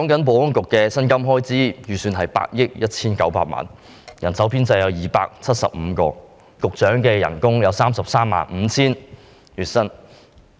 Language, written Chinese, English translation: Cantonese, 保安局的薪金開支預算是8億 1,900 萬元，人手編制為270人，而局長的月薪是 335,000 元。, The estimated salary of the Security Bureau with an establishment of 270 people is 819 million and the monthly salary of the Secretary is 335,000